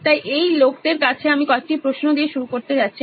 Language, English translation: Bengali, So over to these people I am going to start off with a couple of questions